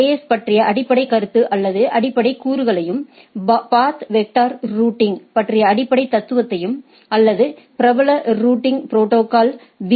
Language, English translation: Tamil, So, today we will see the basic concept or basic components of autonomous system and or AS and the basic philosophy of the path vector routing or which the popular routing protocol BGP employs right